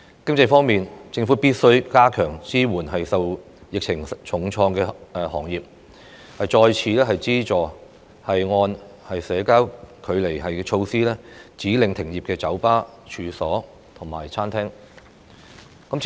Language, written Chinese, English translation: Cantonese, 經濟方面，政府必須加強支援受疫情重創的行業，再次資助因社交距離措施而被指令停業的酒吧、餐廳和各式處所。, In the economic aspect the Government must strengthen support for industries hit hard by the pandemic . Additional subsidies should be provided to bars or pubs restaurants and other premises that have been ordered to close due to social distancing measures